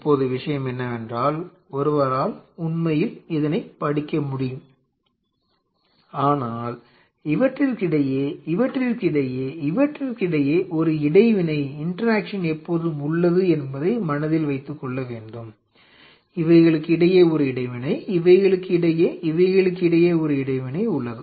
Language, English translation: Tamil, Now the things are that one can study that is really no problem, one has to keep in mind that there is always an interaction between this between this between this between this, there is an interaction between these ones, the interaction between these ones, these ones